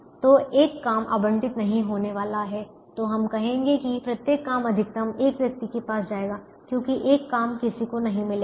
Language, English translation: Hindi, so we will say that each job will go to a maximum of one person, because one job will not got anybody